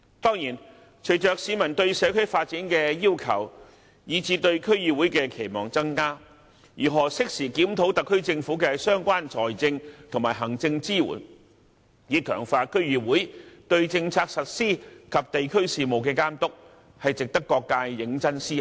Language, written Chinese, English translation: Cantonese, 當然，隨着市民對社區發展的要求以至對區議會的期望增加，如何適時檢討特區政府的相關財政和行政支援，以強化區議會對政策實施及地區事務的監督，值得各界認真思考。, Certainly given increasing public demands for community development and public expectations for DCs all sectors of the community should seriously consider how a review can be conducted in a timely manner of the financial and administrative support provided by the SAR Government to strengthen the supervision of DCs in policy implementation and district affairs